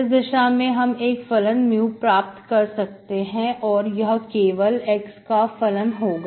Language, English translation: Hindi, In such a case I can get my function mu as function of alone, only function of x alone